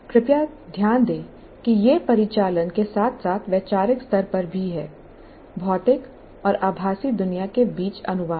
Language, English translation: Hindi, Please note that it is operational as well as conceptual levels translating between the physical and virtual world